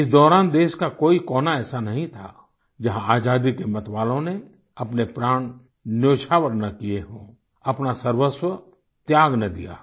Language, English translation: Hindi, During that period, there wasn't any corner of the country where revolutionaries for independence did not lay down their lives or sacrificed their all for the country